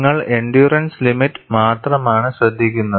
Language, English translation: Malayalam, You are only noting the endurance limit